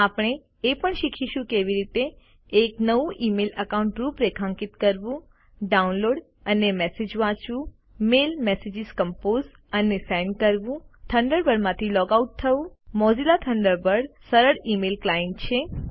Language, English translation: Gujarati, We will also learn how to: Configure a new email account Download and read messages Compose and send mail messages Log out of Thunderbird Mozilla Thunderbird,Is a simple email client